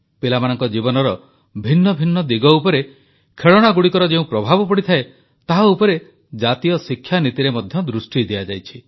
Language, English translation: Odia, In the National Education Policy, a lot of attention has been given on the impact of toys on different aspects of children's lives